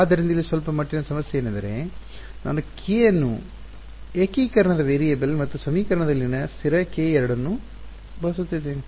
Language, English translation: Kannada, So, the slight the slight problem over here is that I am using k as both a variable of integration and the constant k in the equation